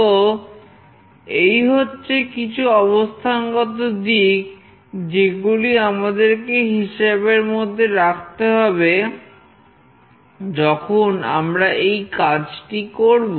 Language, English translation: Bengali, So, these are the few things, we have to take into consideration when we do this